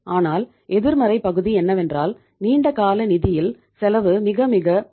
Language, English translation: Tamil, But the negative part is cost of the long term funds is very very high